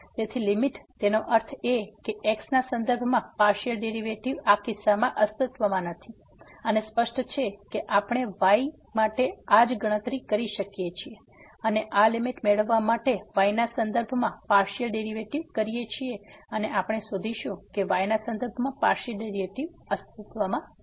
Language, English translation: Gujarati, So, the limit; that means, the partial derivative with respect to does not exist in this case and obviously, the similar calculation we can do for or the partial derivative with respect to to get this limit and we will find that that the partial derivative with respect to also does not exist